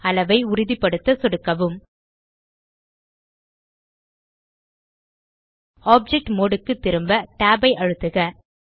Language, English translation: Tamil, Left click to confirm scale Press tab to go back to the Object mode